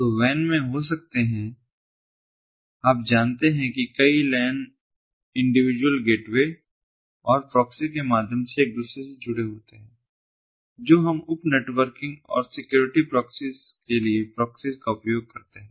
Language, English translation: Hindi, so we can have in a wan, you know, several lans connected to each other through the individual gateways and proxy, very similar to what we use proxies for security, proxies for sub networking and so on